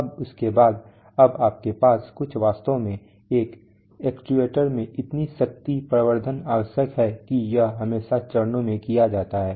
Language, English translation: Hindi, Now after this, now you have some actually, in an actuators so much power amplification is necessary that it is always done in stages